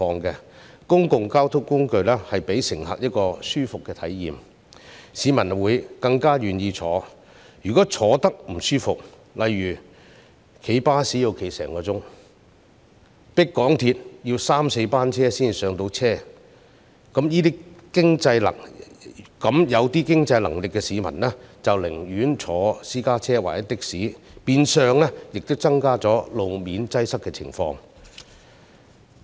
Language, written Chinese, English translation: Cantonese, 公共交通工具如能令乘客有舒適的體驗，市民便會願意乘搭；如果他們覺得不舒適，例如乘搭巴士要站立1小時，又或乘搭港鐵要等候三四班列車才能上車，那麼稍有經濟能力的市民便寧願乘坐私家車或的士，變相加劇路面擠塞的情況。, If different means of public transport can provide passengers with a comfortable experience people will be willing to take them . If they find them uncomfortable such as having to stand for an hour on a bus or wait until three or four trains have passed before they can board an MTR train those who are a bit better off would rather travel in a private car or take a taxi which would in turn worsen road congestion